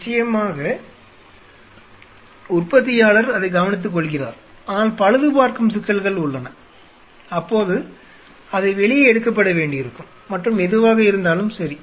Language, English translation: Tamil, Of course, the manufactural take care of it, but they are repairing issue it may have to be taken out and what isoever there are